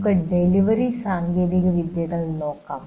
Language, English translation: Malayalam, Let us look at the first one, namely delivery technologies